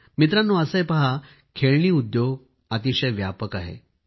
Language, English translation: Marathi, Friends, the toy Industry is very vast